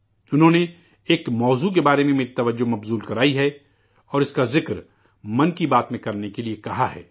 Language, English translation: Urdu, She has drawn my attention to a subject and urged me to mention it in 'Man kiBaat'